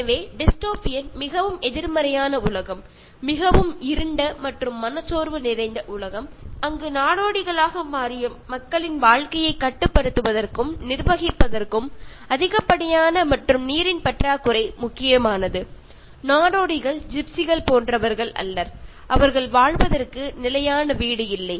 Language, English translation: Tamil, So, dystopian is a very negative world, very gloomy and depressive world where the excess as well as the lack of water become crucial in controlling and governing the lives of people who have become nomads, nomads are like gypsies no one place, no one fixed house to live in